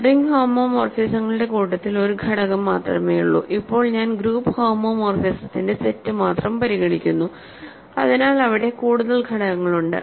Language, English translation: Malayalam, There is only one element in the set of ring homomorphisms, now I am considering only the set of group homomorphism; so, they are more elements